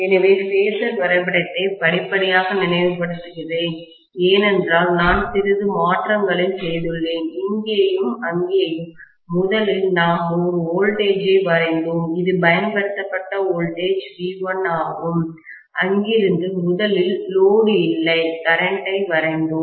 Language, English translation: Tamil, So, let me again recall the phasor diagram step by step because I have made a little bit of modification here and there, first of all we drew voltage which is the applied voltage V1, from there we first drew the no load current